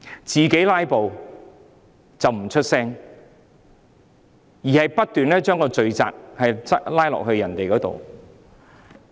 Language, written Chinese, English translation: Cantonese, 自己"拉布"不作聲，卻不斷將罪責推到別人身上。, It remains silent over its own filibuster but has repeatedly placed the blame on someone else